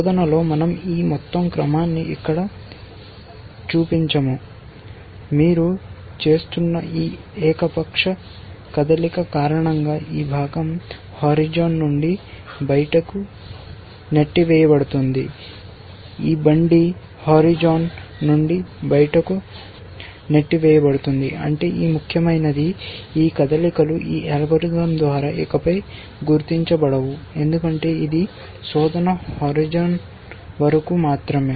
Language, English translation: Telugu, In search supposing, we insert this whole sequence here then, this part gets pushed out of the horizon because of this arbitrary move that you are doing, this cart gets pushed out of the horizon which means that, something that is important which was happening in these moves is no longer noticed by this algorithm because it is search is only till the horizon